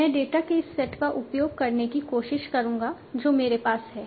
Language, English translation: Hindi, I will try to use this set of data that I have